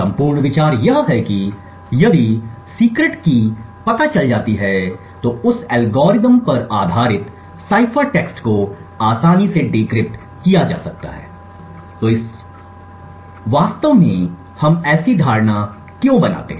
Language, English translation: Hindi, The whole idea is that if the secret key is determined then subsequence cipher text based on that algorithm and the that specific secret key can be easily decrypted why exactly do we make such an assumption